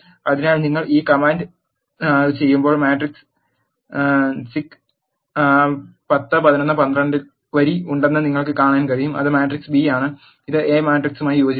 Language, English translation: Malayalam, So, when you do this command you can see that the matrix C is having the row 10 11 12 which is the matrix B and is concatenated to the matrix A